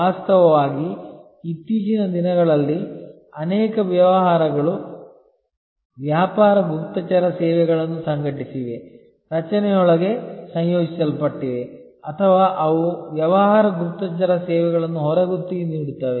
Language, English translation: Kannada, In fact, there is many businesses nowadays have organized business intelligence services, incorporated within the structure or they outsource business intelligence services